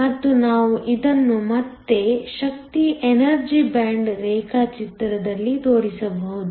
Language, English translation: Kannada, And, we can show this again in the energy band diagram